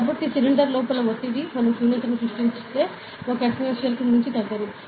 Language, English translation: Telugu, So, the pressure of the inside the cylinder, if we create vacuum will decrease beyond 1 atmosphere, correct